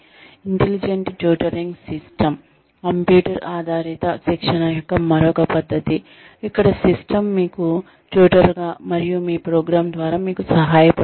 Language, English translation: Telugu, intelligent tutoring system is, another method of computer based training, where the system itself, tutors you, and helps you get through, your program